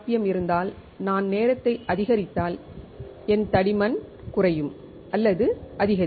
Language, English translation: Tamil, If I have a uniform rpm and if I increase the t ime my thickness will decrease or increase